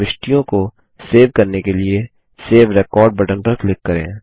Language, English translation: Hindi, To save the entries, click on the Save Record button